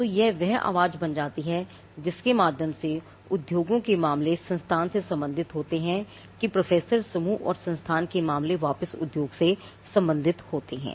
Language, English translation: Hindi, So, this becomes the voice through which the industries concerns are relate to the institute that the professor and the team and the institutes concern are relate back to the industry